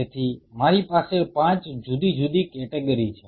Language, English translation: Gujarati, So, I have 5 different categories